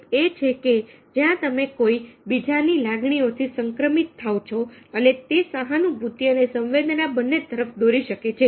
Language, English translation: Gujarati, that contagion is very well infected by somebody else's emotions and can lead both to sympathy as well as to empathy